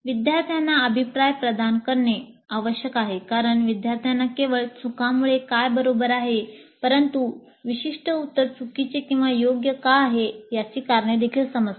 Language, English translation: Marathi, And feedback must be provided to help the students know not only the right from the wrong, but also the reasons why a particular answer is wrong are right